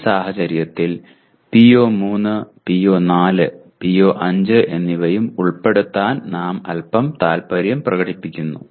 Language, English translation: Malayalam, In this case we are a bit ambitious to include PO3, PO4, and PO5 as well